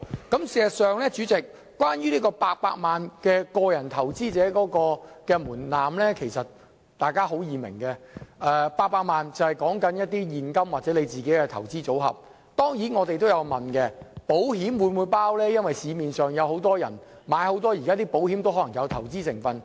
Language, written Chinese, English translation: Cantonese, 代理主席，事實上，關於個人投資者800萬元的門檻，大家很容易明白，是指現金或個人投資組合，當然我們也有疑問，保險是否計算在內，因為市面上有很多保險單也有投資成分。, Deputy President about the 8 million threshold for individual investors in fact we can easily understand it as cash or personal investment portfolio . Of course we also doubt if the amount includes insurance as many insurance policies in the market contain certain investment elements